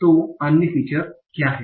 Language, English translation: Hindi, So what are the other features